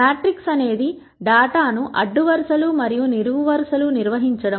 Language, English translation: Telugu, Matrix is a form of organizing data into rows and columns